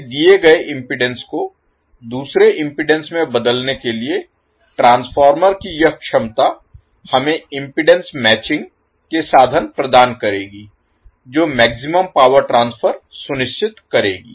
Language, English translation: Hindi, So, now, this ability of the transformer to transform a given impedance into another impedance it will provide us means of impedance matching which will ensure the maximum power transfer